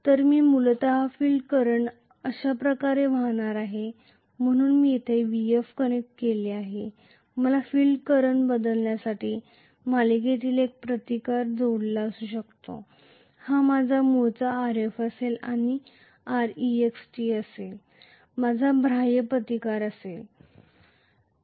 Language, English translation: Marathi, So, I am going to have essentially the field current flowing like this, so I have vf connected here, I may have a resistance connected in series to vary the field current and this is going to be my Rf inherently and this is going to be R external, the external resistance that I have connected